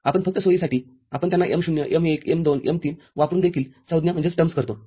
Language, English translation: Marathi, We just for convenience we term them also using m0, m1, m2, m3